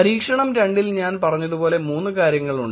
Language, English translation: Malayalam, Experiment 2 as I said there are 3 things